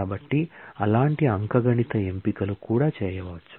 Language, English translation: Telugu, So, those such arithmetic choices can also be made